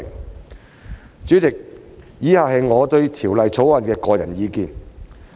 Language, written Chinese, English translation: Cantonese, 代理主席，以下是我對《條例草案》的個人意見。, Deputy President the following is my personal views on the Bill